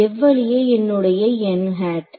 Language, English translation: Tamil, So, which way is my n hat